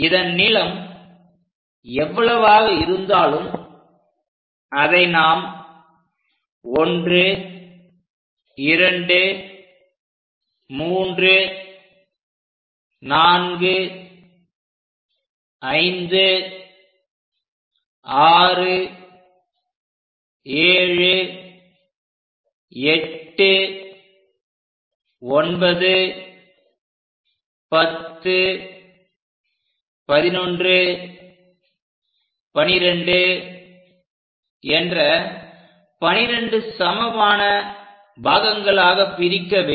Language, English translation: Tamil, So, these are the points, mark them as 1 2 3 4 2 3 4 5 6 7 8 9 10 11, I think we made this is 12 let us use equal number of divisions